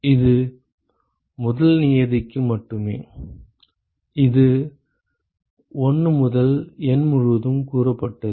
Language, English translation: Tamil, That is only for the first term, that is summed over all 1 to N right